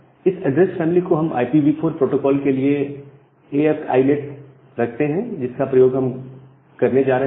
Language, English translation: Hindi, So, the address family we keep it as AF INET for IPv4 protocol which we are going to use